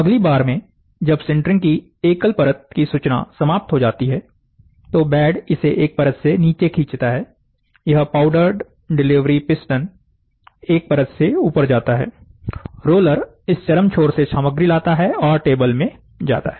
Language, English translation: Hindi, In the next time, when the single layer information of sintering is over, the bed pulls it down by a single layer, this powdered delivery piston goes up by a single layer, the roller takes the material from this extreme end and moves to the table and then goes to this extreme end, ok, so, this extreme end